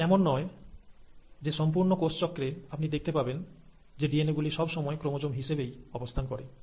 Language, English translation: Bengali, Now it is not that throughout the cell cycle, you will find that a DNA always exists as a chromosome